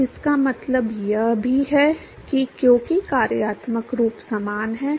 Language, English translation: Hindi, So, that also means that because the functional form is same